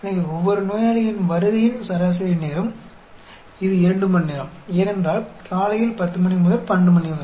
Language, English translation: Tamil, So, average time for each patientís arrival, it is 2 hours, because 10 am to 12